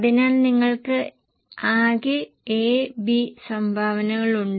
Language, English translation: Malayalam, So, you are having total A and B current contributions